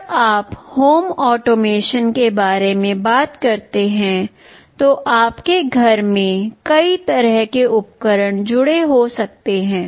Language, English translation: Hindi, When you talk about home automation, in your home there can be so many kind of devices connected